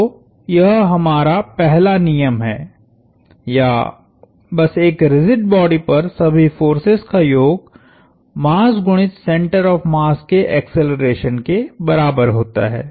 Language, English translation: Hindi, So, this is our first law or simply the sum of all forces on a rigid body equals mass times the acceleration of the center of mass